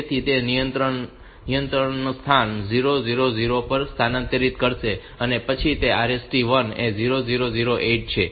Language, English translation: Gujarati, So, it will transfer the control to the location 0 0 0 0 then RST 1 is 0 0 0 8